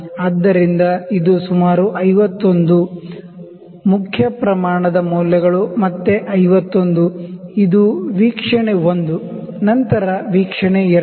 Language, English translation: Kannada, So it is about 51, main scale readings are again 51; this is observation 1, then observation 2